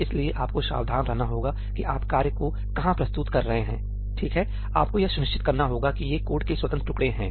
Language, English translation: Hindi, So, you have to be careful where you introduce the task, right, you have to be sure that these are independent pieces of code